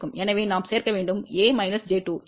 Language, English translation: Tamil, So, we need to add a minus j 2